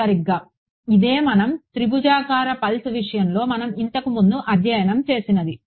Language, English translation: Telugu, Exactly so, this is what we studied earlier in the case of triangular pulse right that is right